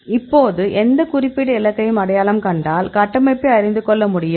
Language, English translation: Tamil, So, now if you identify any specific target we have to know the structure